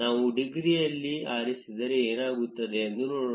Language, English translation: Kannada, Let us see what happens if we choose in degree